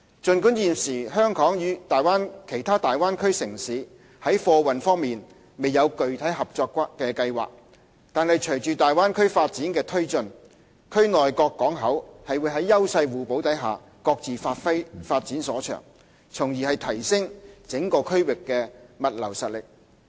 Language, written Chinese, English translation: Cantonese, 儘管現時香港與其他大灣區城市在貨運方面未有具體合作計劃，但是隨着大灣區發展的推進，區內各港口會在優勢互補下，各自發展所長，從而提升整個區域的物流實力。, Although there is no concrete cooperation plan on freight between Hong Kong and other cities in the region at present with the further development of the Bay Area the various ports will under the principle of complementarity develop their respective strengths to enhance the logistics capacity of the whole region